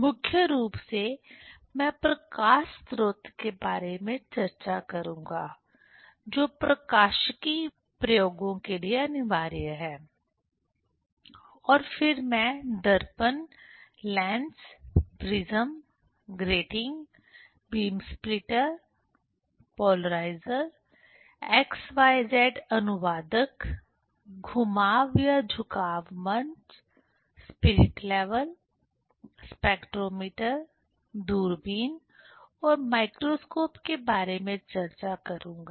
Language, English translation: Hindi, Mainly I will discuss about the light source, which is compulsory for the optics experiments and then I will discuss about the mirror, lens, prism, grating, beam splitter, polarizer, x y z translator, rotation or tilt stage, spirit level, spectrometer, telescope, microscope